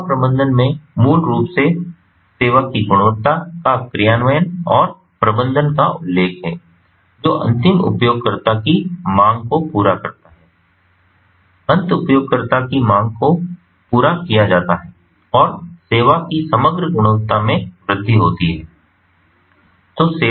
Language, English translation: Hindi, so service management, basically what it is referring to, is the implementation and management of the quality of service which meets the end user demand end users demands are met and increasing the overall quality of service